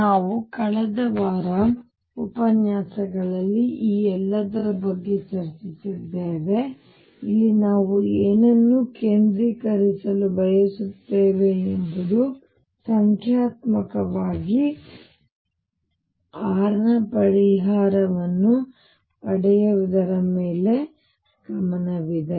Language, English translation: Kannada, We discussed all this in the lectures last week what we want to focus on here is numerically on getting the solution of r